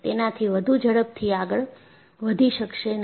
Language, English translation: Gujarati, It cannot go faster than that